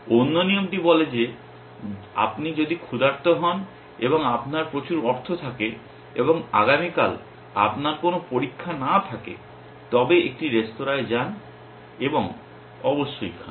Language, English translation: Bengali, The other rule says if you are hungry and you have lots of money and you do not have any exam tomorrow then go out to a restaurant an eat essentially